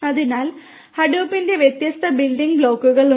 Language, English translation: Malayalam, So, there are different building blocks of Hadoop